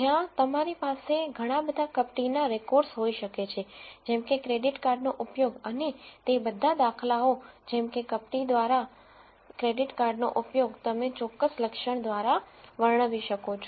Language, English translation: Gujarati, Where you could have lots of records of fraudulent let us say credit card use and all of those instances of fraudulent credit card use you could describe by certain attribute